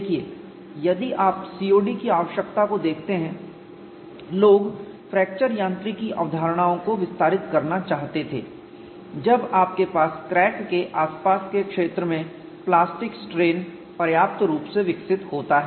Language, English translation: Hindi, See if you look at the need for CTOD people wanted to extend fracture mechanics concepts when you have plastic strain significantly develop near the vicinity of the crack